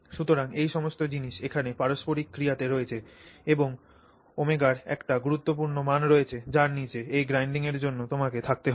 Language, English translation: Bengali, So, all these things are in interplay here and there is a critical value of omega below which you have to stay for you to have this grinding